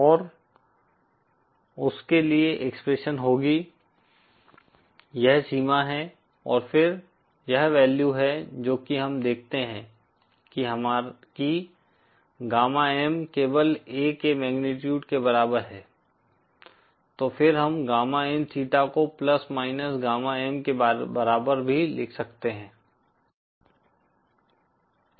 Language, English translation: Hindi, And the expression for that will be… This is the limit and then this is the value we see that gamma M is simply equal to the magnitude of A so then we can also write gamma in theta as equal to plus minus gamma M